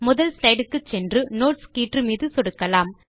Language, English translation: Tamil, Lets go to the first slide and click on the Notes tab